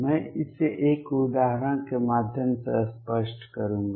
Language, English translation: Hindi, I will illustrate this through an example